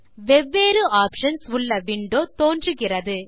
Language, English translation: Tamil, The window comprising different options appears